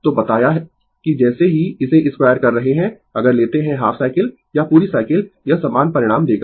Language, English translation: Hindi, So, I told you that as soon as squaring it, if you take half cycle or full cycle, it will give you the same result right